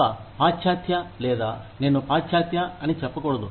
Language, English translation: Telugu, A western, or, i should not say western